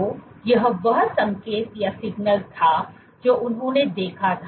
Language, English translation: Hindi, So, this was what the signal that they observed